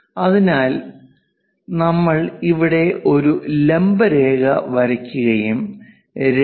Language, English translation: Malayalam, So, if we are drawing a vertical line here and a unit of 2